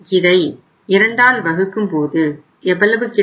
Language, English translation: Tamil, So we have multiplied it by 20%